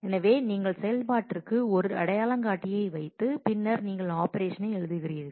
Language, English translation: Tamil, So, you put an identifier to the operation and then you write operation begin